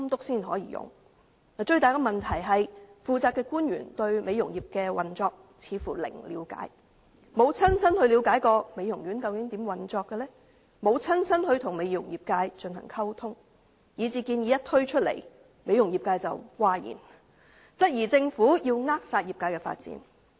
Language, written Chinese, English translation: Cantonese, 最大的問題是，負責官員對美容業的運作似乎零了解，沒有親身了解美容院究竟如何運作，沒有親身與美容業界進行溝通，以致建議一推出，美容業界譁然，質疑政府扼殺業界的發展。, The biggest problem is that the responsible officials seem to have zero understanding of the operation of the beauty industry . They did not personally get to learn how the beauty parlours actually operate . Neither did they personally communicate with the beauty industry